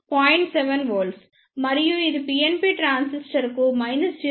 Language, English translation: Telugu, 7 volt for PNP transistor